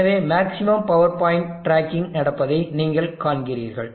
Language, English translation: Tamil, So you see that maximum power point tracking is happening